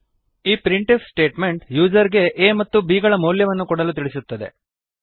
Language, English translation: Kannada, This printf statement prompts the user to enter the values of a and b